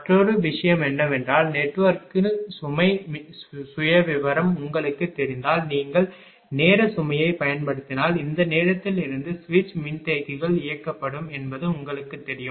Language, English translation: Tamil, Another point is the if you use the time load if you know the load profile of the network then you know from this time that switch capacitors will be switched on